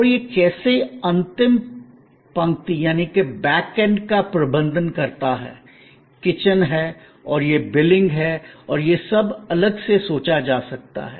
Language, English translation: Hindi, And how it managed it is back end, the kitchen and it is billing and all that, could be thought of separately